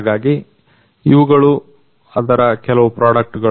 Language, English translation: Kannada, So, these are some of their products